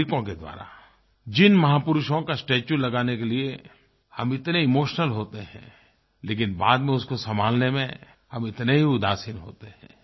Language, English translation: Hindi, We become so emotional about getting the statues of great men erected but become equally complacent when it comes to maintaining them